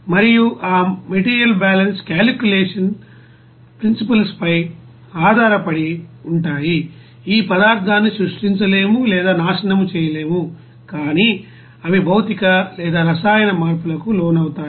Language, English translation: Telugu, And those material balance calculations will be based on the principles of conservation of mass which states that matter can neither be created nor be destroyed but they may undergo physical or chemical changes